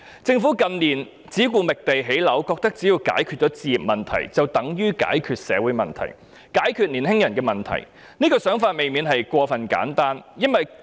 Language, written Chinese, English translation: Cantonese, 政府近年只顧覓地建屋，認為只要解決置業問題，就等於解決了社會問題、解決了青年人的問題，這種想法便未免過於簡單。, Focusing only on identifying sites for housing construction in recent years the Government is of the view that addressing the home ownership issue is the solution to various social problems and young peoples problems as well . This may be over simplistic